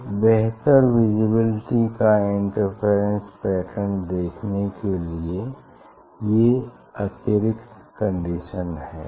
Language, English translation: Hindi, these are additional condition to see the better visibility of the interference pattern